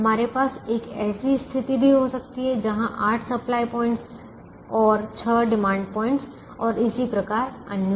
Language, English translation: Hindi, we could even have a situation where there are eight supply points and six demand points, and so on